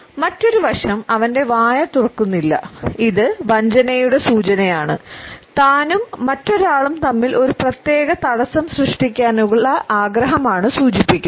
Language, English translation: Malayalam, Another aspect is that his mouth has been covered which is indicative of a possible deception or a desire to create a certain barrier between himself and the other people